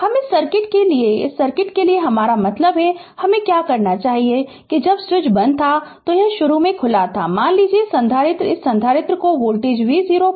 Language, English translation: Hindi, What I want to mean for this circuit for this circuit right for this circuit , that when switch was not close, it was open initially, suppose capacitor was this capacitor was charged at voltage v 0 right